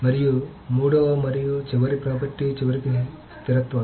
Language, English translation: Telugu, And the third and the last property is eventual consistency